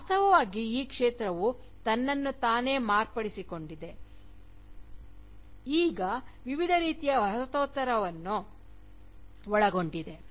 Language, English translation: Kannada, Indeed, the field has merely transformed itself, to now include, various kinds of Postcolonialism